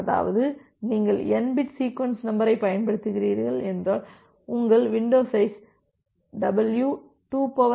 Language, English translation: Tamil, That means if you are using n bit sequence number then, your window size w will be equal to 2 to the power n minus 1